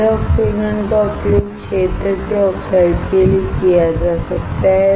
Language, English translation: Hindi, The wet oxidation can be used for the field oxides